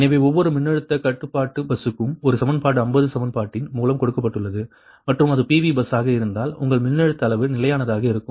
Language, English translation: Tamil, and one equation for each voltage control bus, given equation fifty, and if it is a pv bus, your voltage magnitude will remain constant, right